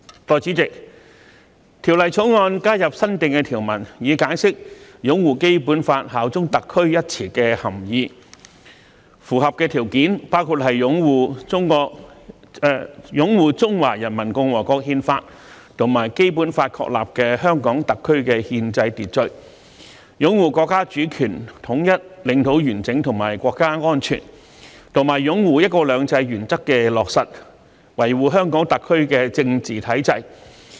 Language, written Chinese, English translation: Cantonese, 代理主席，《條例草案》加入新訂條文，以解釋"擁護《基本法》、效忠特區"一詞的涵義，符合的條件包括擁護《中華人民共和國憲法》及《基本法》確立的香港特區的憲制秩序；擁護國家主權、統一、領土完整和國家安全；及擁護"一國兩制"原則的落實，維護香港特區的政治體制。, Deputy President the Bill has added new provisions to explain the meaning of the term upholding the Basic Law and bearing allegiance to HKSAR . The satisfying conditions include upholding the constitutional order of HKSAR established by the Constitution of the Peoples Republic of China and the Basic Law; upholding the national sovereignty unity territorial integrity and national security; and upholding the implementation of one country two systems principle and safeguarding the political structure of HKSAR